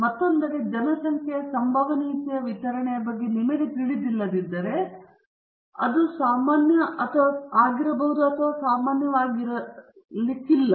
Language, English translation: Kannada, On the other hand, if you do not know about the population probability distribution it may be normal or it may not be normal